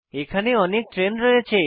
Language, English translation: Bengali, I have got lots of train